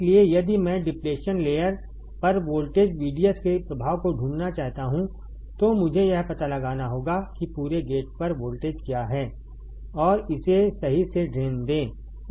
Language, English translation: Hindi, So, if I want to find the effect of voltage VDS on depletion layer, I had to find what is the voltage across gate and drain all right